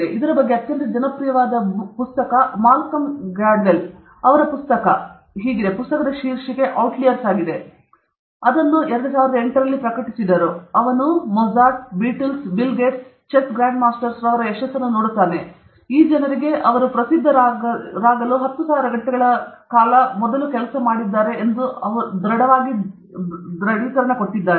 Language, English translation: Kannada, And a very popular book on this is by Malcolm Gladwell; his book, the title of the book is Outliers; he published it in the year 2008, and he looks, and he looks at the success of Mozart, Beatles, Bill Gates, all Chess Grand Masters; he has conclusively established that all these people have spent 10,000 hours before they became famous